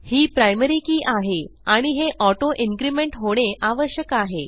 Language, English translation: Marathi, This is the primary key and we want it to make auto increment